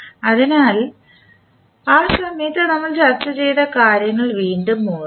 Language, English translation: Malayalam, So, let us recap what we discussed at that time